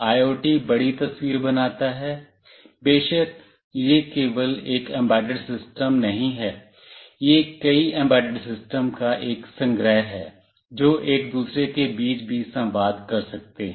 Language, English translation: Hindi, IoT constitutes the larger picture, of course it is not only one embedded system, it is a collection of many embedded systems that can communicate among each other as well